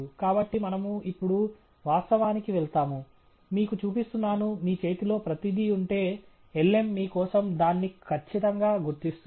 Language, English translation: Telugu, So, we move now to reality, am just showing you, that if you had everything in hand, the lm will perfectly identified that for you